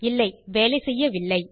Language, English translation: Tamil, No, its not working